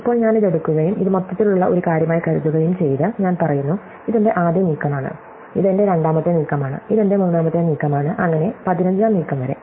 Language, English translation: Malayalam, So, now if I take this and I think of this as an overall thing saying this is my 1st move, this is my 2nd move, this is my 3rd move and so on, up to the 15th move